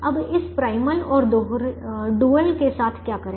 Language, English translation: Hindi, now what do we do with this primal and dual